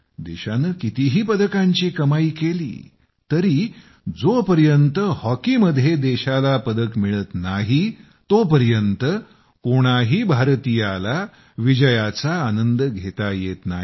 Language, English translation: Marathi, And irrespective of the number of medals won, no citizen of India enjoys victory until a medal is won in hockey